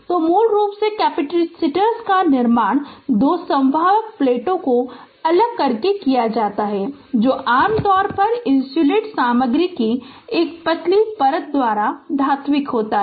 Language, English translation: Hindi, So, basically capacitors are constructed by separating two conducting plates which is usually metallic by a thin layer of insulating material right